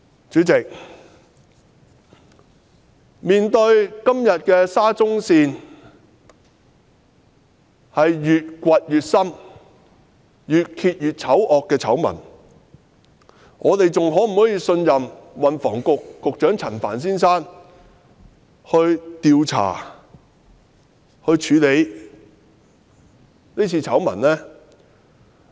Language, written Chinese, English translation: Cantonese, 主席，今天面對沙中線越挖越深、越揭越醜惡的醜聞，我們是否仍然能信任運輸及房屋局局長陳帆先生，相信他能調查和處理是次醜聞？, President today facing the SCL scandal in which more ugly stories have been uncovered can we still trust Secretary for Transport and Housing Frank CHAN and believe that he is capable of investigating and dealing with this scandal?